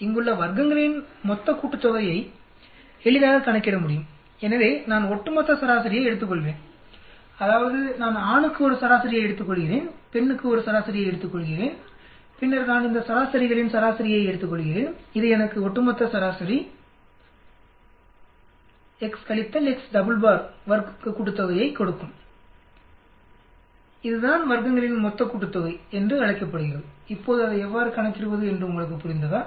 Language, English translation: Tamil, The total sum of squares here can be easily calculated so I will take a overall mean, that means I take a mean for male I take a mean for female then I take a mean of these 2 means that will give me the overall mean, x minus x double bar square summation that’s called the total sum of squares, now u understood how to calculate that